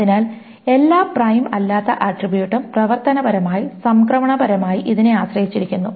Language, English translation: Malayalam, So, every non prime attribute is functionally transitively dependent on this